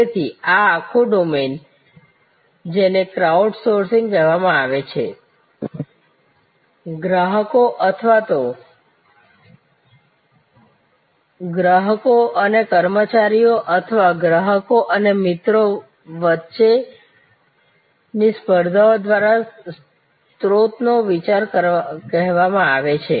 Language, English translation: Gujarati, So, this whole domain which is called crowd sourcing or often idea of source through competitions among customers or even customers and their employees or customers and their friends and so on